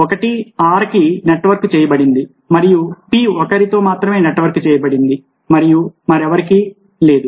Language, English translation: Telugu, one is network to have, whereas p is only network with one and two, nobody else